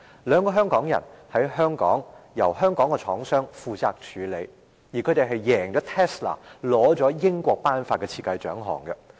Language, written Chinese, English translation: Cantonese, 兩位香港人的產品在香港由香港廠商負責處理，他們贏了 Tesla， 獲得英國頒發的設計獎項。, This product of two Hongkongers is handled by a Hong Kong manufacturer in Hong Kong . The two young people have beaten Tesla to win a design award granted in the United Kingdom